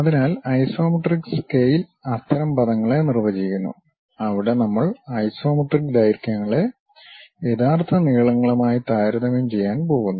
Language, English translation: Malayalam, So, this one is true length and this is the isometric length So, isometric scale actually defines such kind of terminology, where we are going to compare isometric lengths with the true lengths